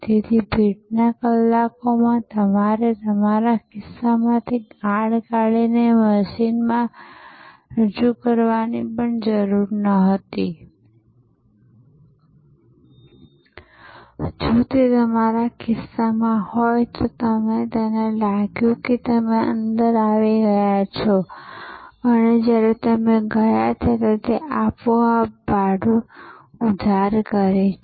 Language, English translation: Gujarati, So, in the rush hours, you did not have to even take out the card from your pocket and present it to the machine, if it was in your pocket, it sensed that you have got in and it automatically debited the fare, when you went out